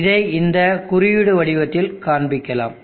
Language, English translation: Tamil, I will show it in this symbol form